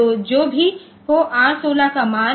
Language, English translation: Hindi, So, whatever be the value of R16